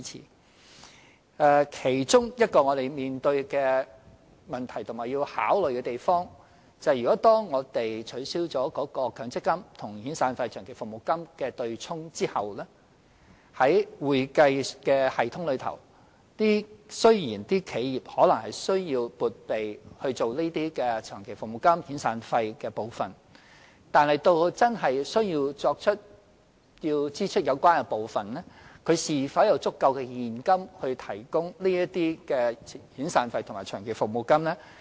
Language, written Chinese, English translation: Cantonese, 我們面對的其中一個問題，也是要考慮的一點，就是一旦取消了強積金與遣散費或長期服務金的"對沖"安排後，各企業在會計系統上，雖然需要撥備作長期服務金、遣散費，但及至要支付有關款項時，企業是否有足夠現金應付這些遣散費和長期服務金呢？, One of the problems that we face and need to consider is that once the arrangement for offsetting the severance payment or the long service payment against MPF benefits is abolished while the enterprises have to set aside funds for the long service and severance payments in their accounting systems will the enterprises have enough cash to pay for these severance and long service payments when they are due?